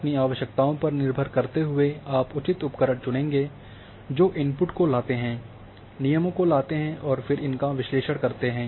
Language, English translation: Hindi, So, depending on your requirements you will choose appropriate tool bring the inputs, bring the constraints and then perform the analysis